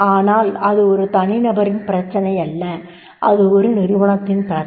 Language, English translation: Tamil, But it is not the question of an individual, it is a question of organization